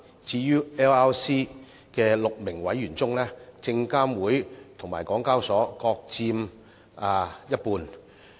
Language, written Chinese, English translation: Cantonese, 至於 LRC 的6名委員中，證監會及港交所各佔一半。, As to the total membership of six on LRC they will be equally shared by SFC and HKEx